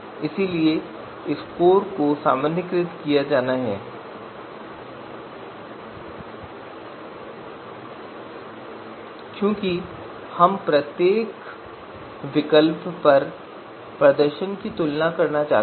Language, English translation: Hindi, So the scores are to be normalized because we would like to compare you know you know you know the performance on each alternative